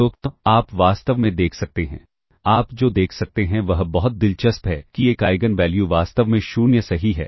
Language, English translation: Hindi, In fact, what you can see is very interestingly, that one of the Eigen values is in fact 0, correct